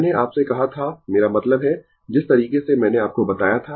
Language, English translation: Hindi, I told you ah I mean ah the way I told you right